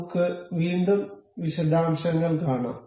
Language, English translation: Malayalam, We can see the a details again